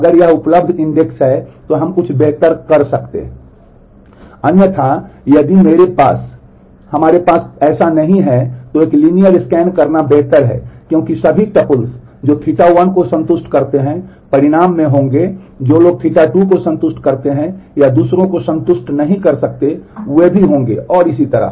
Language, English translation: Hindi, Otherwise if we do not have that then it is better to do a linear scan because the conditions all triples which satisfies theta 1 will be there in the result, those which satisfy theta 2 may or may not satisfy the others will also be there and so, on